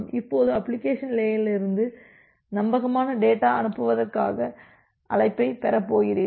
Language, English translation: Tamil, Now you are going to getting a call for reliable data send from the application layer